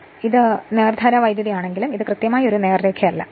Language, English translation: Malayalam, Because it is DC but it is not exactly as a straight line